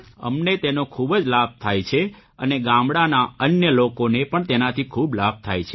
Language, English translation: Gujarati, It is of great benefit to me and other people are also benefited by it